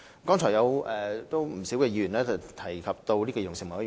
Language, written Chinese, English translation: Cantonese, 剛才有不少議員提及兒童事務委員會。, Just now many Members talked about the Commission on Children